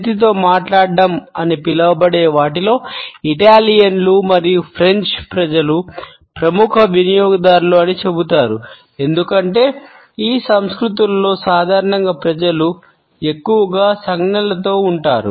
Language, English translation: Telugu, It is said that Italians and the French are the leading users of what has come to be known as hand talking, because in these cultures normally we find people gesticulating more